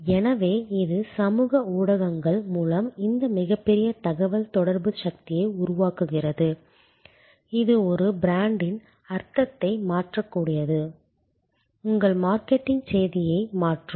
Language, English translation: Tamil, Because, that creates this tremendous power of communication through social media, that can change the meaning of a brand, that can change your marketing message